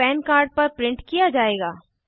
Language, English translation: Hindi, This will be printed on the PAN card